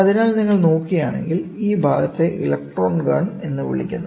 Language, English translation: Malayalam, So, if you look at it this portion is called the electron gun